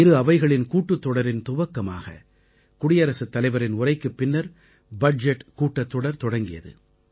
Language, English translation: Tamil, Following the Address to the joint session by Rashtrapati ji, the Budget Session has also begun